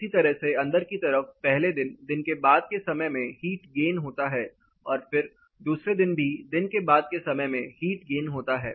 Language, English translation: Hindi, Inside similarly during the day time later in the day there is a heat gain, and then again the second day later in the day there is a heat gain